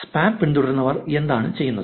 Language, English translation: Malayalam, What do the spam followers do